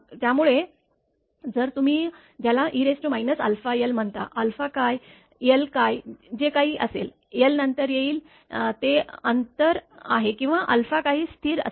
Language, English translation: Marathi, So, if it will have some what you call e to the power minus alpha l, what is alpha, what is l, will come later l is the distance or alpha is some constant